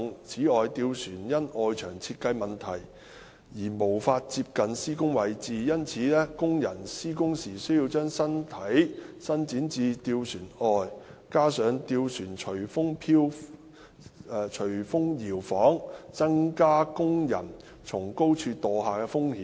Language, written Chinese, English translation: Cantonese, 此外，吊船因外牆設計問題而無法接近施工位置，因此工人施工時需將身體伸展至吊船外，加上吊船隨風搖晃，增加工人從高處墮下的風險。, Furthermore due to the design constraints of some external walls gondolas cannot get close to the work locations . As a result workers have to stretch their bodies out of the gondolas when carrying out works . This coupled with the gondolas swinging with the wind has increased the risk of workers falling from height